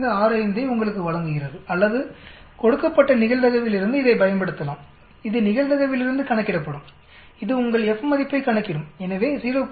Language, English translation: Tamil, 1565 as in the Excel or we can use this, given from the probability it will calculate from the probability it will calculate your F value so 0